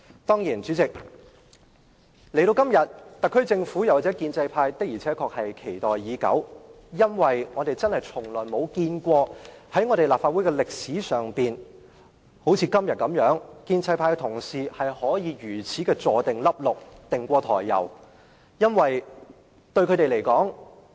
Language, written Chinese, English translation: Cantonese, 代理主席，今天這個機會，特區政府和建制派的確期待已久，因為我們從來沒有見過在立法會歷史上，建制派同事可以好像今天這樣"胸有成竹"。, Deputy President the Special Administrative Region Government and the pro - establishment camp have long waited for this opportunity today as throughout the history of the Legislative Council we have never seen Honourable colleagues belonging to the pro - establishment camp have a well - thought - out plan as they do today